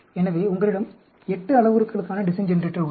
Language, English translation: Tamil, So, you have a design generator for 8 parameters